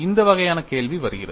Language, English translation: Tamil, This kind of question comes